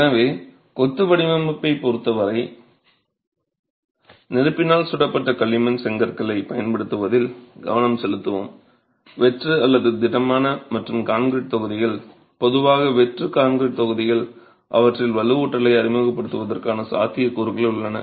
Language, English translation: Tamil, So, as far as the design of masonry in this course is concerned, we will focus on the use of fire play bricks, hollow or solid and concrete blocks typically hollow concrete blocks with the possibility of introducing reinforcement in there